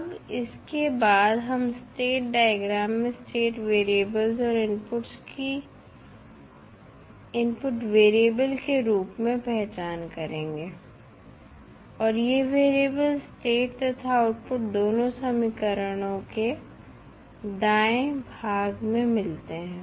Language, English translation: Hindi, Now, next we will identify the state variables and the inputs as input variable on the state diagram and these variables are found on the right side on the state as well as output equations